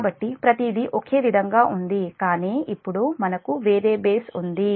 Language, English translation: Telugu, so everything is same, but we have a different base now